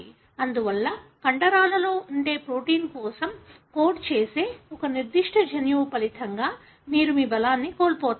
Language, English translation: Telugu, Therefore you loose all your strength resulting from a particular gene which codes for a protein which is present in the muscle